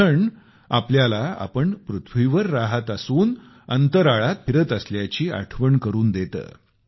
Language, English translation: Marathi, The eclipse reminds us that that we are travelling in space while residing on the earth